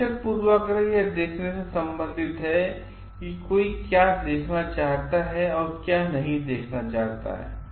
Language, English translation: Hindi, Observer bias relates to saying what one wants to see or does not wants to see